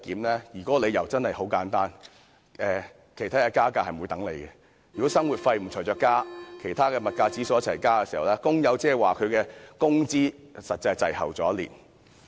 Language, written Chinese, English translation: Cantonese, 當中的理由很簡單，便是加價不會等人，如果生活費沒有相應增加，當其他物價指數上升時，工友的工資實際是滯後一年。, The reason is simple . It is because price hikes do not wait and without a corresponding increase in the provision for living expenses the workers wages actually suffer a lag of one year as other price indexes go up